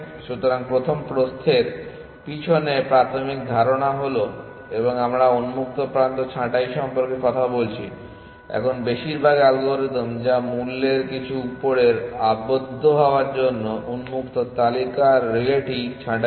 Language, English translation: Bengali, So, the basic idea behind breadth first and we are talking about pruning open, now most algorithms which prune the open list relay on getting some upper bound on the cost essentially